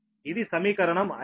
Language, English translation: Telugu, so this is equation five